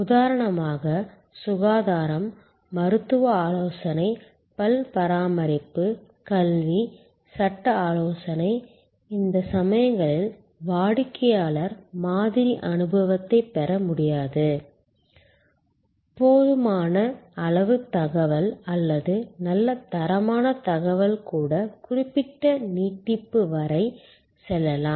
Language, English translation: Tamil, For example, health care, medical advice, dental care, education, legal advice, in this cases it is not possible for the customer to get a sample experience, even enough amount of information or good quality information can go up to certain extend